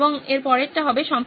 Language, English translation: Bengali, Next would be editing